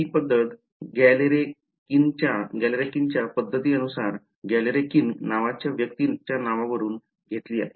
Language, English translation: Marathi, This method is given is called by the name Galerkin’s method, named after its person by the name Galerkin